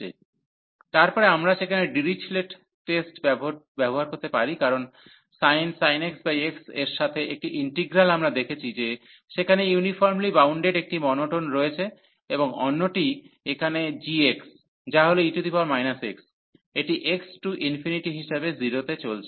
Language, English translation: Bengali, So, then we can use Dirichlet test there, because the one integral with the sin x over x we have seen that there is monotone that is uniformly bounded, and the other one here the g x, which is e power minus x, it is going to 0 as x approaches to infinity